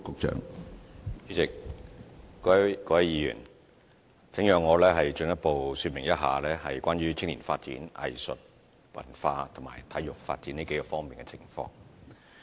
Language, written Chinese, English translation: Cantonese, 主席、各位議員，請讓我進一步說明一下關於青年發展、藝術與文化，以及體育發展這數方面的情況。, President and Honourable Members please allow me to give further elaboration in respect of youth development arts and culture as well as sports development